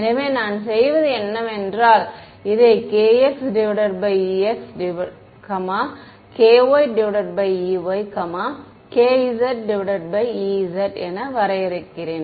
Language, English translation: Tamil, So, what I do is, I define this as k x by ex, k y by e y, k z by e z